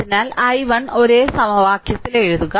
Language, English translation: Malayalam, So, i 1 we got we use write in same equation